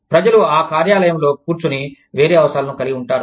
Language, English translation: Telugu, The people, sitting in that office, will have a different set of needs